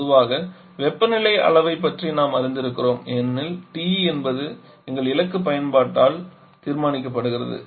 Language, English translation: Tamil, Commonly we are aware about the temperature levels because it is something that is determined by our target application